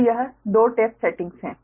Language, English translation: Hindi, so this two are tap settings